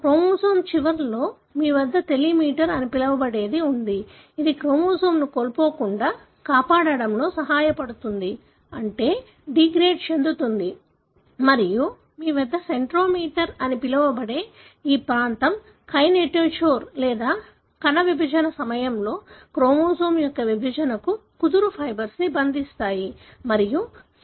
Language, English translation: Telugu, You have, on either end of the chromosome we have what is called as telomere, which help in protecting the chromosome from being lost, meaning being degraded and you have this region which is called as centromere, is a region on to which the kinetochore or the spindle fibers bind to and help in the segregation of the chromosome during a cell division